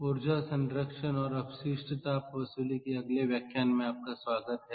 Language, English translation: Hindi, ok, welcome back and ah to the next lecture of energy conservation and waste heat recovery